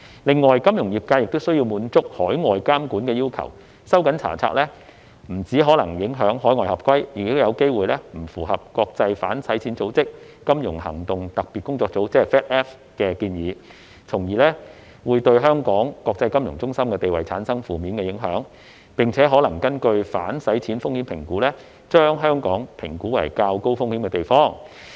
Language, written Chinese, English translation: Cantonese, 另外，金融業界亦需要滿足海外監管要求，收緊查冊不僅可能影響海外合規，亦有機會不符合國際反洗錢組織、財務行動特別組織的建議，從而會對香港國際金融中心地位產生負面影響，並可能根據反洗錢風險評估，將香港評估為較高風險的地方。, In addition the financial industry is also required to meet overseas regulatory requirements . Tightening the inspection regime may not only affect compliance with overseas requirements but also run counter to the recommendations made by international anti - money laundering bodies and the Financial Action Task Force FATF . This will cause adverse impact to Hong Kongs status as an international financial centre and Hong Kong may be identified as a relatively high - risk jurisdiction in money laundering risk assessments